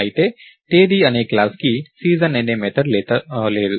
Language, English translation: Telugu, However, the class called Date does not have a method called season